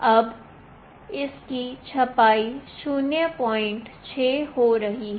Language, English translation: Hindi, Now it is printing 0